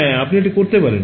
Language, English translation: Bengali, Yeah you can do that